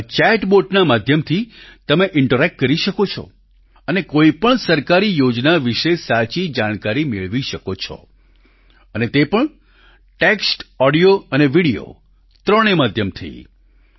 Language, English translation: Gujarati, In this you can interact through chat bot and can get right information about any government scheme that too through all the three ways text, audio and video